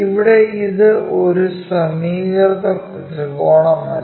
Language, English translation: Malayalam, So, we made a mistake here it is not a equilateral triangle